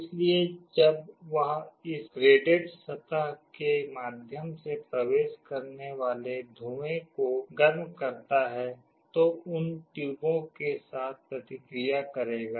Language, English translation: Hindi, So, when it heats up the smoke that enters through this graded surface, will react with those tubes